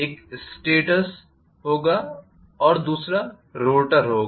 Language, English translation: Hindi, One will be a stator and the other one will be a rotor